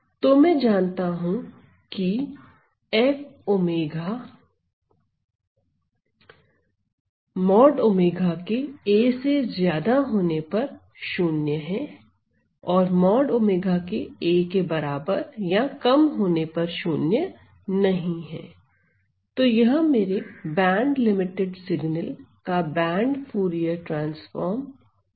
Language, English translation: Hindi, So, that is my band Fourier transform of my band limited signal